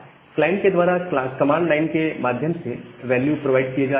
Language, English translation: Hindi, So, the value which are being provided by the by the client at the through the command line